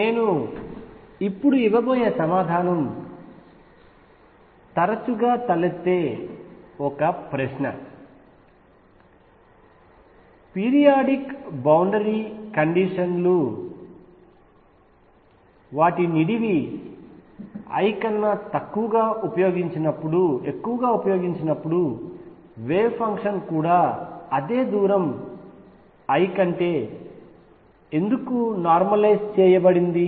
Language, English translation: Telugu, One question that often arises whose answer I am going to give now is when periodic boundary conditions are used over length l, why the wave function is also normalized over same distance l